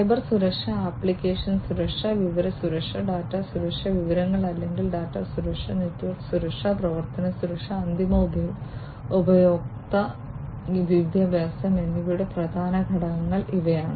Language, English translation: Malayalam, So, going back, these are the main components of Cybersecurity, application security, information security, data security, information or data security, network security, operational security, and end user education